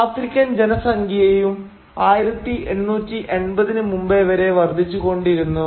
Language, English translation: Malayalam, African population was also increasing till before 1880’s